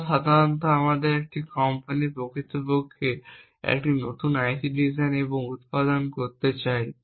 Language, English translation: Bengali, So, typically if a company wants to actually design and manufacture a new IC it would start off with the specifications for that IC